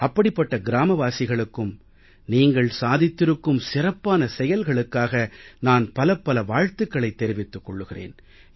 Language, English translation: Tamil, I extend my hearty felicitations to such villagers for their fine work